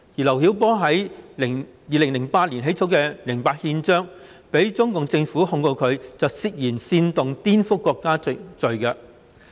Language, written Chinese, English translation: Cantonese, 劉曉波在2008年起草《零八憲章》，因而被中共政府控告他涉嫌煽動顛覆國家政權罪。, LIU Xiaobo drafted Charter 08 in 2008 and was charged for suspicion of inciting subversion of state power